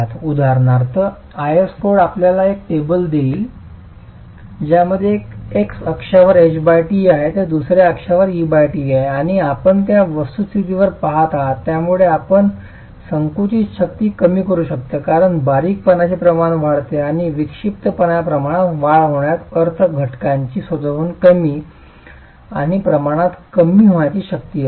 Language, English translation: Marathi, S code for example would give you a table which has H by T on one axis, E by T on the other axis and you look at what is a factor by which you must reduce the compressive strength because increasing slendentness ratios and increasing eccentricity ratios would mean lesser and lesser compressive strength of the element itself